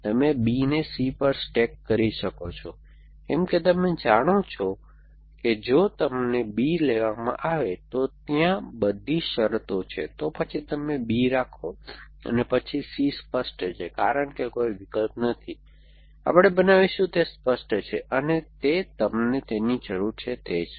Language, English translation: Gujarati, You can stack B on to C, why because you know all the conditions are there if you are picked up B, then you are holding B and then C is clear because no op, we will make it clear in that, is that is about what you need